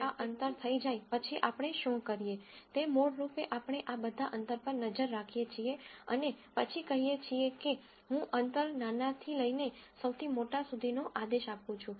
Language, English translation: Gujarati, Once we have this distance then what we do, is basically we look at all of these distances and then say, I order the distances from the smallest to the largest